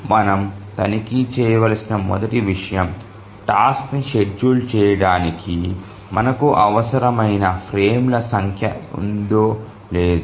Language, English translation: Telugu, The first thing we need to check whether the number of frames that we require to schedule the task exists